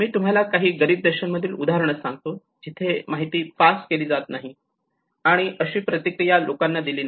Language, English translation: Marathi, I will tell you some examples in the poorer countries where the information has not been passed, and it has not been people who have not responded